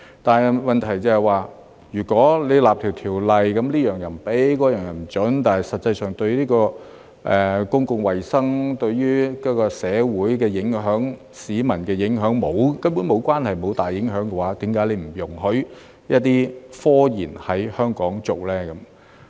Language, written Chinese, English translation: Cantonese, 但是，問題是，如果訂立一項法例，這樣不准、那樣又不准，但實際上卻跟公共衞生、社會的影響、市民的影響根本無關，根本沒有大影響的話，為何不容許一些科研在香港進行呢？, However the problem is that if a law is enacted to prohibit this and that and in reality it has nothing to do with or has no significant impact on public health society or the public why should scientific research not be allowed to be conducted in Hong Kong?